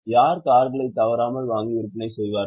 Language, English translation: Tamil, Who will buy and sell cars regularly